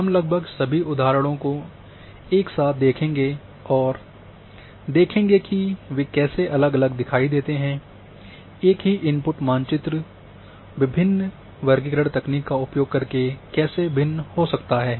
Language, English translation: Hindi, We will see almost all examples together and see the differences how they appear differently, the same input map how they differ while using different classification technique